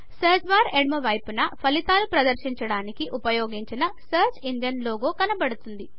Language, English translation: Telugu, On the left side of the Search bar, the logo of the search engine which has been used to bring up the results is seen